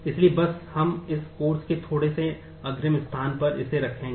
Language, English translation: Hindi, So, just we will keep that, in little bit advance space of this course